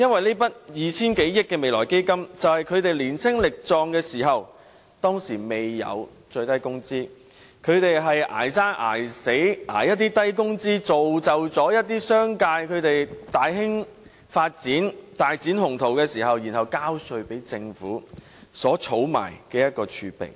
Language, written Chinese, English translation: Cantonese, 這筆 2,000 多億元的"未來基金"，是他們年青力壯時，在當時還未設最低工資時，"捱生捱死"，從事一些低工資的工作，從而造就一些商界大肆發展、大展鴻圖，然後交稅給政府，政府因而儲下這些儲備。, The Future Fund of 200 billion should be credited to the contribution made by these elderly citizens in their younger years . Back then minimum wage had not yet been implemented yet they toiled long hours in some low - pay jobs thus facilitating certain businesses in making outstanding development and enormous profits thereby generating tax revenue for the Government to keep as reserve